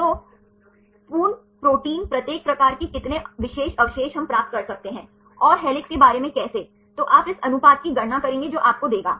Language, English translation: Hindi, So, full protein how many residues of a particular type for each type we can get, and how about in helix, then you calculate the ratio this will give you